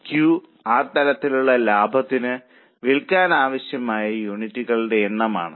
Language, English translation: Malayalam, Q is a number of units required to be sold for that level of profit